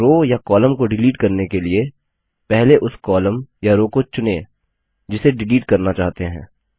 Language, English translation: Hindi, For deleting a single column or a row, first select the column or row you wish to delete